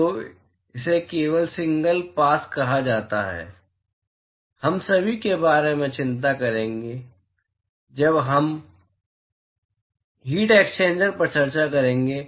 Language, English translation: Hindi, So, this is just called as single pass, we will worry about all that when we discuss heat exchangers